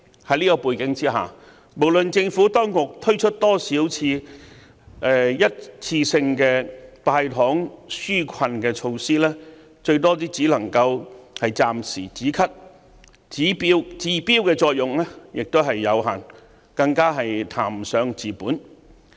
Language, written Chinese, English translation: Cantonese, 在這樣的背景之下，無論政府當局推出多少一次性的"派糖"紓困措施，最多只能夠暫時"止咳"，治標的作用有限，更談不上治本。, Against this background no matter how many one - off sweeteners are given out by the Government they are at best a weak palliative to ease the hardship for a while but can never fix the problems at root